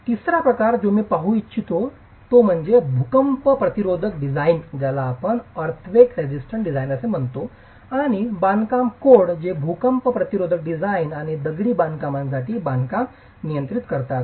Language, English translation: Marathi, The third category that I would like to look at is earthquake resistant design and construction codes that regulate earthquake resistant design and construction for masonry